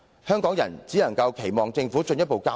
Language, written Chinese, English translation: Cantonese, 香港人只有期望政府作進一步交代。, Hong Kong people can only hope that the Government will give a further account